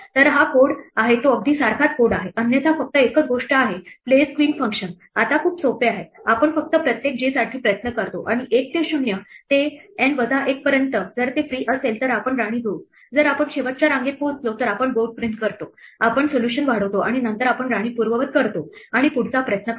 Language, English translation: Marathi, So, here is the code it's exactly the same code otherwise the only thing is the place queen function is much simpler now, we just try for every j and range one to 0 to N minus 1, if it is free we add the queen, if we have reached the last row we print the board, we extend the solution and then we undo the queen and try the next one